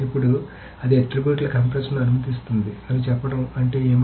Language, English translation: Telugu, Now what does it say means to say it allows compression of attributes